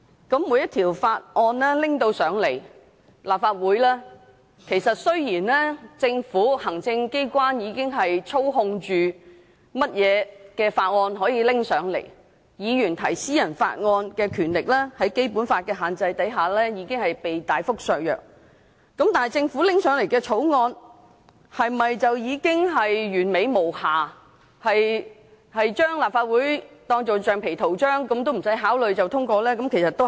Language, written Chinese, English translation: Cantonese, 當每項法案提交至立法會時——雖然行政機關和政府已經操控哪項法案可提交立法會，議員提出私人法案的權力在《基本法》的限制下亦已被大幅削弱——但政府提交立法會的法案是否已經完美無瑕，可以將立法會當作橡皮圖章，完全不用考慮便通過法案呢？, Whenever a Bill is tabled in the Legislative Council―although the executive and the Government already have control over what Bills can be tabled to the Legislative Council and the power of Members to propose private Members Bills has been undermined considerably by the restrictions of the Basic Law―does it mean that the Bills tabled by the Government to the Legislative Council are flawless and the Legislative Council can be taken as a rubber stamp in passing the Bills without any deliberation whatsoever?